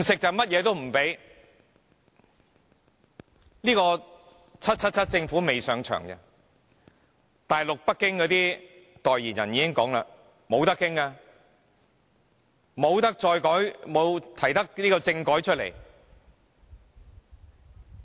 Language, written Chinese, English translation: Cantonese, 這個 "777" 政府仍未上場，大陸北京的代言人已表明沒有商榷餘地，不能再提出政改。, This 777 Government has yet to assume office but the spokesperson in Beijing has already stated that there is no room for discussion and that another constitutional reform cannot be proposed